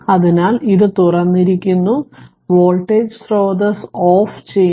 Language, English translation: Malayalam, So, it is open and voltage source is should be turned off